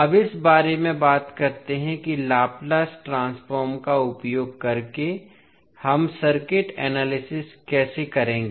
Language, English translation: Hindi, Now, let us talk about how we will do the circuit analysis using Laplace transform